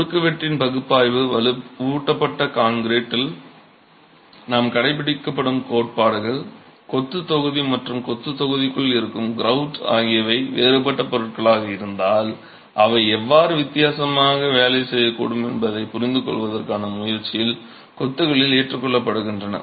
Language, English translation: Tamil, Principles that we adopt in analysis of cross sections in reinforced concrete are adopted in masonry with a conscious effort to understand how the masonry block and the grout which is within the masonry block may work differently if they are of dissimilar materials